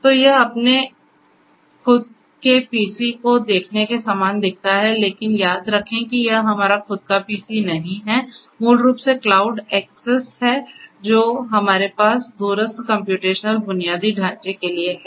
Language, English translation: Hindi, So, it is you know it looks very similar to the way it looks for your own PC, but remember that this is not our own PC this is basically how it looks to the cloud access that we have for the remote the remote computational infrastructure